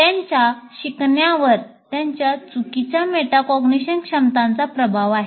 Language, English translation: Marathi, Their learning is influenced by their poor metacognition abilities